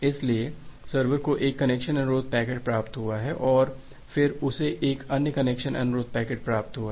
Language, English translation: Hindi, So, the server has received one connection request packet and then it has received another connection request packet